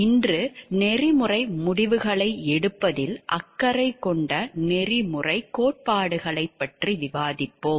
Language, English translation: Tamil, Today we will discuss about the ethical theories that are a matter of concern for ethical decision making